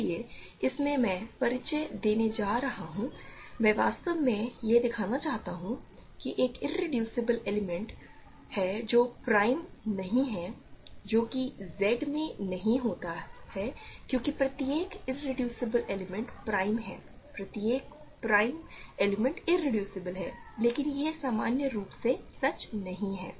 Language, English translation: Hindi, So, in this I want to introduce, I want to actually show that there is an irreducible element that is not prime which that phenomenon does not happen in Z because every irreducible element is prime every prime element is irreducible, but that is not in general true